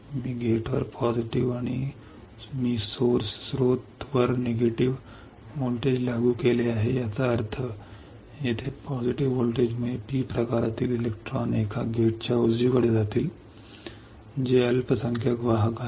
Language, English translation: Marathi, I have applied positive to gate and I have applied negative to source that means, the positive voltage here will cause the electrons from a P type to go towards a gate right which is a minority carrier